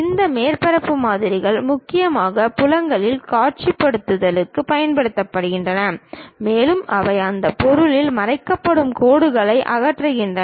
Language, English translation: Tamil, This surface models are mainly used for visualization of the fields and they remove any hidden lines of that object